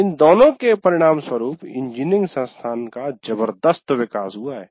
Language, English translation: Hindi, And these two have resulted in a tremendous growth of engineering institutions